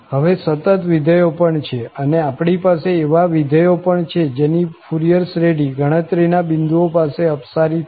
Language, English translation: Gujarati, Also, there are continuous functions, even we have those functions whose Fourier series diverges at a countable number of points